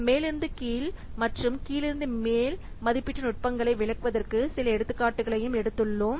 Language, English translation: Tamil, Also, we have taken some examples to illustrate the top down and the bottom of estimation techniques